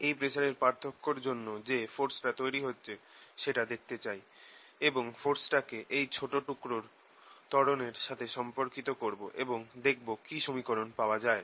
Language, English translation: Bengali, what we want a to do is see this pressure difference, what force does it create, relate that to the acceleration of this small portion that we have taken and see what the, what is the equation that we get